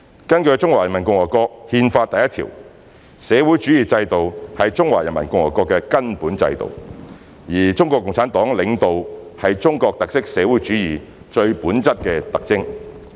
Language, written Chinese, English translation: Cantonese, 根據《中華人民共和國憲法》第一條，社會主義制度是中華人民共和國的根本制度，而中國共產黨領導是中國特色社會主義最本質的特徵。, Pursuant to Article 1 of the Constitution of the Peoples Republic of China PRC the socialist system is the fundamental system of PRC and the leadership by CPC is the defining feature of socialism with Chinese characteristics